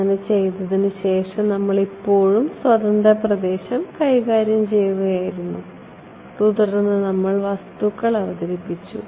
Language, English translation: Malayalam, After having done that so, far we were still dealing with free space then we introduced materials right